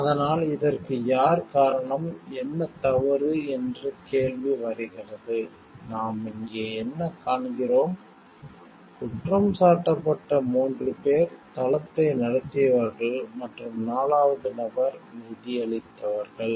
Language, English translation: Tamil, who is responsible for this, what we find over here, there were four men who were accused 3, who ran the site and 4 who financed